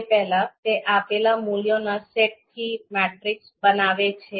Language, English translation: Gujarati, It creates a matrix from the given set of values